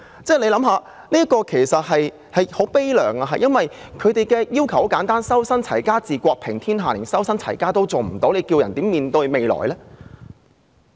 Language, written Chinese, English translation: Cantonese, 這故事確實悲涼，因為他們的要求很簡單，所謂"修身，齊家，治國，平天下"，當人們連修身和齊家也做不到的時候，還能如何面對未來？, The story is indeed sad . Their request is very simple we talk about cultivation of moral character settlement of ones family affairs proper governing of the country and maintenance of universal peace . When people fail to cultivate his moral character and settle his family affairs how can they face the future?